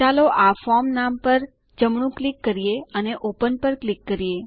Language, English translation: Gujarati, Let us right click on this form name and click on Open